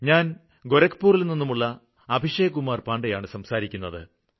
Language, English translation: Malayalam, I am Abhishek Kumar Pandey calling from Gorakhpur